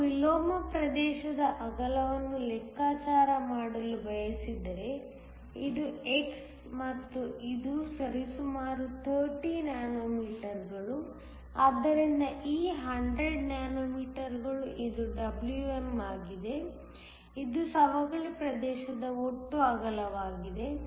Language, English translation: Kannada, If you want to calculate the width of the inversion region, which is x and this one is approximately 30 nanometers, So, this one which is 100 nanometers, which is Wm; it is the total width of the depletion region